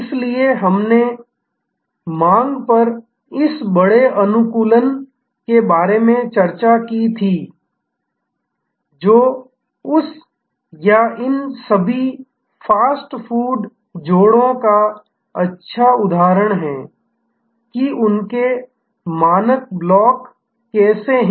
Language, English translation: Hindi, So, we had discussed about this mass customization on demand, which is a good example of that or all these fast food joints, how they have standard blocks